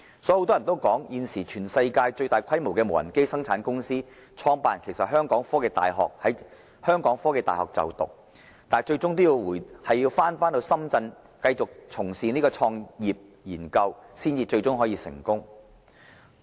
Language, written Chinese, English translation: Cantonese, 很多人曾說，現時全世界最大規模的無人機生產公司的創辦人其實曾在香港科技大學就讀，但他最終要回流深圳繼續從事創業研究，才可取得成功。, It is known to many that the founder of the worlds largest unmanned aerial vehicle manufacturing company once studied in The Hong Kong University of Science and Technology; however he has achieved success only after his return to Shenzhen for business start - up and further researches